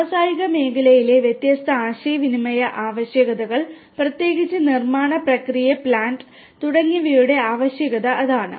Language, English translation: Malayalam, That is the requirement for serving the different communication requirements in the industrial sector, particularly the manufacturing process plant and so on